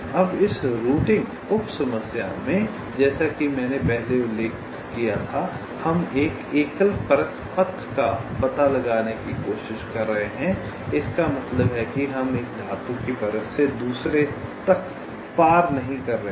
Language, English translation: Hindi, now, in this routing sub problem, as i mentioned earlier, we are trying to find out a single layer path that means we are not crossing from one metal layer to the other